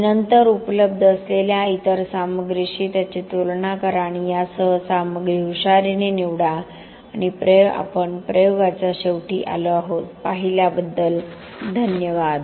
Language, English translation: Marathi, And then compare it with other material that are available and choose the material wisely with this we have come to the end of the experiment thank you for watching